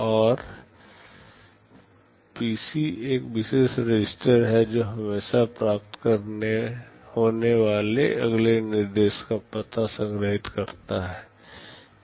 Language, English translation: Hindi, And PC is a special register which always stores the address of the next instruction to be fetched